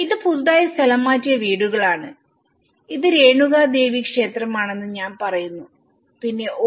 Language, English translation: Malayalam, This is newly relocation houses, I say this is Renuka Devi temple then oh